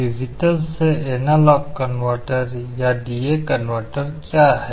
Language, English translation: Hindi, What is a digital to analog converter or a D/A converter